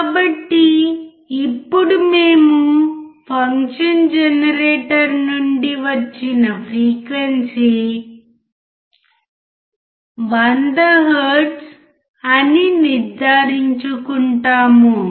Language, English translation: Telugu, So, now we make sure that the frequency from the function generator is 100 hertz